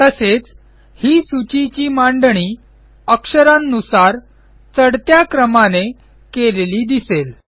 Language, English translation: Marathi, Also, we see that, this list is arranged alphabetically in ascending order